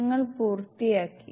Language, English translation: Malayalam, You are done